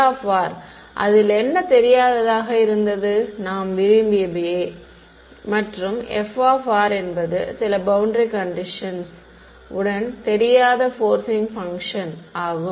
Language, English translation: Tamil, Phi of r was what the unknown which I wanted, and f of r is unknown forcing function along with some boundary conditions ok